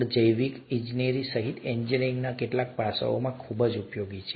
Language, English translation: Gujarati, They are very useful in some aspects of engineering, including biological engineering